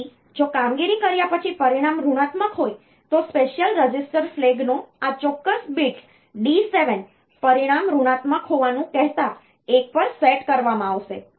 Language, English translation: Gujarati, So, if the result after doing the operation is say negative, then this particular be D 7 of the special register flag, will be set to one telling that the result was negative